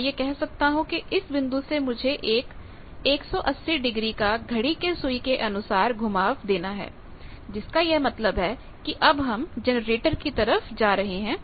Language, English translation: Hindi, I can say that from this point I need to go a rotation or I need to take a rotation of 180 degree clockwise; to do this point we know clockwise; that means, towards the generator I am going now put it